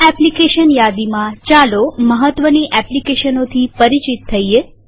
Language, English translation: Gujarati, In this applications menu, lets get familiar with some important applications